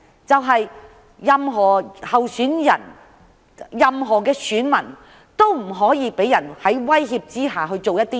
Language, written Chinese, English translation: Cantonese, 就是希望任何候選人和選民都不會被威脅做某些事。, In this way candidates and voters will not be threatened to take certain action